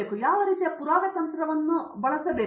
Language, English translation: Kannada, What sort of proof technique should I use